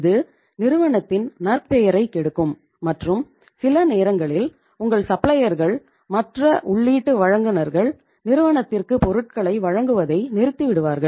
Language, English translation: Tamil, It will spoil the reputation of the firm and sometimes your suppliers, your say other input providers will stop providing the supplies to the firm